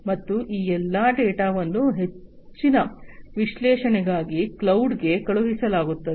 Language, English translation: Kannada, And all these data will be sent to the cloud for further analytics and so on